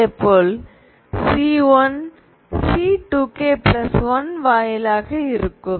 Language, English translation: Tamil, C0 will be in terms of C2 k